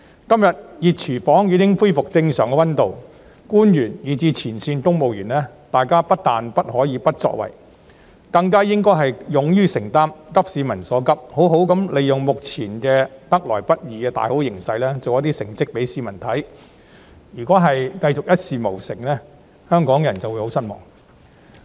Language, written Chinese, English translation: Cantonese, 今天，"熱廚房"已經恢復正常溫度，官員以至前線公務員，大家不但不可以不作為，更應該勇於承擔責任，急市民所急，好好地利用目前得來不易的大好形勢，給市民做出一點成績；假如仍然一事無成，香港人便會十分失望。, Today the hot kitchen has already returned to normal temperature . Not only is it unacceptable for officials and even frontline civil servants to do nothing but it is even more incumbent upon them to have the courage to take on responsibilities promptly address the pressing needs of the public and seize on the current hard - won good situation to achieve something for the people . If they still achieve nothing Hong Kong people will be very disappointed